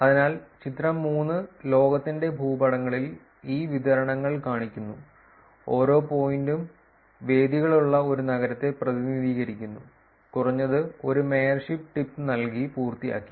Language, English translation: Malayalam, So, figure 3 shows these distributions in maps of the globe with each pointer representing a city with venues, with at least one mayorship tip and done